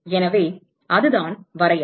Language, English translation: Tamil, So, that is the definition